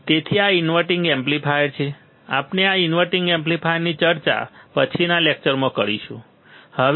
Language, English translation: Gujarati, So, this is inverting amplifier, we will discuss this inverting amplifier in the subsequent lectures, right